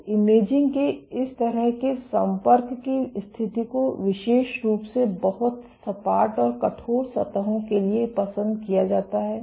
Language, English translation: Hindi, So, this kind of contact mode of imaging is particularly preferred for very flat and rigid surfaces